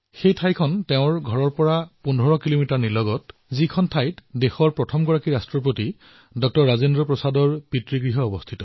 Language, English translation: Assamese, The place was 15 kilometers away from her home it was the ancestral residence of the country's first President Dr Rajendra Prasad ji